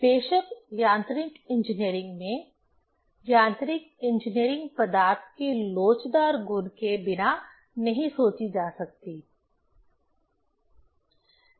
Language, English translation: Hindi, Of course, in mechanical engineering; mechanical engineering cannot be thought of without elastic property of materials